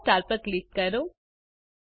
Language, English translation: Gujarati, Click on the yellow star